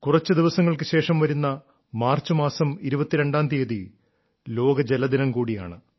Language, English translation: Malayalam, A few days later, just on the 22nd of the month of March, it's World Water Day